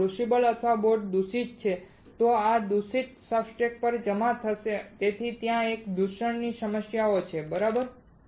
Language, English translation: Gujarati, If the crucible or boat is contaminated, that contamination will also get deposited on the substrate that is why there is a contamination issues right